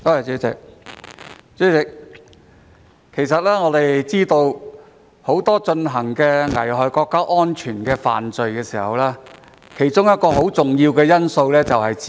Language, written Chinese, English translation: Cantonese, 主席，我們都知道，很多危害國家安全的犯法行為有一個很重要的因素，便是資金。, President we all know that for many illegal acts that endanger national security funding is a very important factor